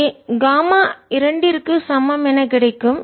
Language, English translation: Tamil, so you get gamma is equal to gamma is equal to two